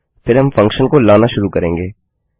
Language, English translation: Hindi, Then we will start to call the function